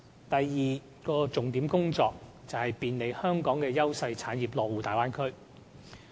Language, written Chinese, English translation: Cantonese, 第二項重點工作，是便利香港的優勢產業落戶大灣區。, The second major task is to make it easier for those Hong Kong industries enjoying clear advantages to establish a presence in the Bay Area